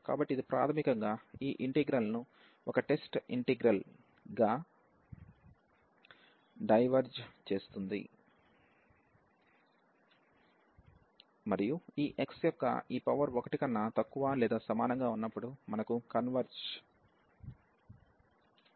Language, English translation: Telugu, So, this basically diverges this integral as this was a test integral and we have the divergence whenever this power of this x is less than or equal to 1